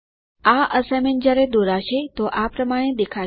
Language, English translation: Gujarati, The assignment when drawn will look like this